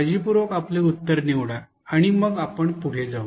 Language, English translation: Marathi, Think carefully choose your options and then you can proceed